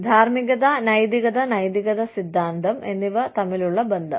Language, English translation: Malayalam, Relationship between moralit, ethics and ethical theory